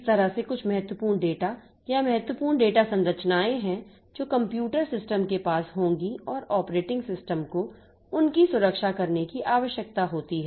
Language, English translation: Hindi, So, that way there are some important data or important data structures that the computer system will have and the operating system needs to protect them